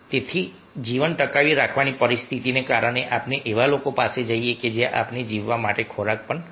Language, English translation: Gujarati, so because of survival situation demands that we go to the people from where we can get food to survive